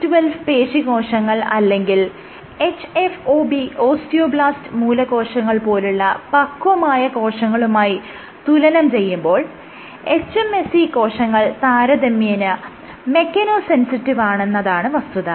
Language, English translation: Malayalam, What the authors also observed was in comparison to mature cells like C2C12 or hFOB, so these are muscle cells these are osteoblast, stem cells hMSCs are much more mechano sensitive